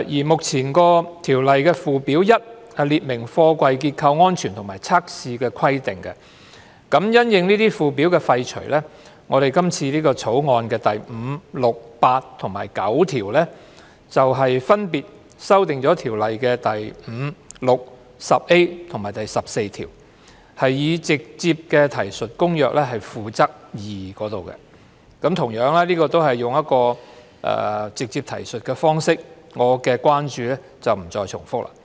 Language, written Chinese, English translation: Cantonese, 目前《條例》附表1列明貨櫃結構安全和測試的規定，因應這個附表的廢除，《條例草案》第5、6、8和9條分別修訂《條例》第5、6、10A 和14條，以直接提述《公約》《附則 II》，這個同樣涉及使用直接提述方式，所以我不再重複我的關注。, Currently Schedule 1 of the Ordinance sets out the requirements for the structural safety and tests of containers . Consequential to the repeal of that Schedule clauses 5 6 8 and 9 of the Bill amend sections 5 6 10A and 14 of the Ordinance respectively to make direct references to Annex II to the Convention . Since this also involves the direct reference approach I will not repeat my concern